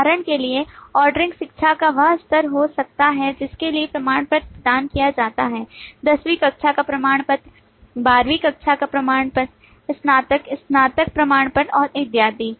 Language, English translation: Hindi, For example, the ordering could be the level of education for which the certificate is provided, the 10th standard certificate, the 12th standard certificate, the graduate, the under graduation certificate and so on